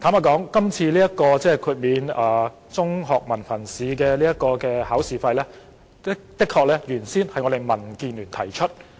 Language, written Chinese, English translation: Cantonese, 坦白說，代繳中學文憑試考試費的建議最初由民主建港協進聯盟提出。, Frankly speaking the proposal of paying the examination fees for HKDSE was initially made by the Democratic Alliance for the Betterment and Progress of Hong Kong